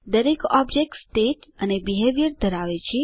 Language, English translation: Gujarati, Each object consist of state and behavior